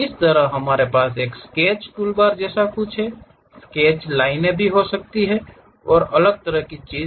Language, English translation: Hindi, Similarly, we have something like a Sketch toolbar something like Sketch, Line and different kind of thing